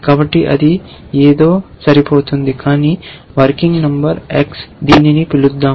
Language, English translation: Telugu, So, that will match something, some working number x let us call it